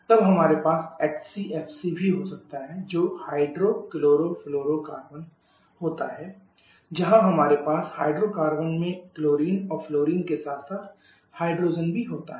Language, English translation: Hindi, Then we can also have HCFC that is hydro chlorofluorocarbon where we have hydrogen also along with chlorine and fluorine in that hydrocarbon